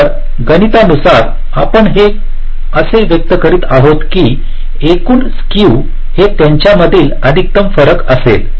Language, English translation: Marathi, so mathematically we are expressing it like this: the total skew will be maximum of the differences